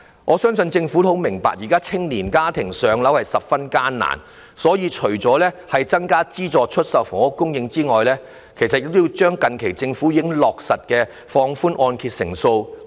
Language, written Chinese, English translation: Cantonese, 我相信政府也很明白，現時年青家庭置業十分困難，故此除了增加資助出售房屋供應外，政府其實亦要繼續推行近期落實的放寬按揭成數措施。, I believe the Government also understands that home purchase is actually very hard for young families . Apart from increasing the supply of subsidized sale flats the Government should also continue with the recent relaxation of the loan - to - value ratios for mortgage loans